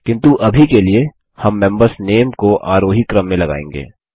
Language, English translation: Hindi, But for now, we will sort the member names in ascending order